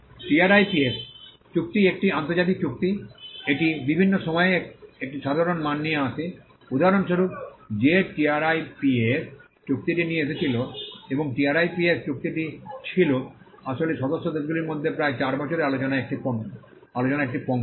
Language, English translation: Bengali, The TRIPS agreement being an international agreement, it brought a common standard on various things; for instance, that TRIPS agreement brought in and the TRIPS agreement was actually a product of close to 8 years of negotiations between the member countries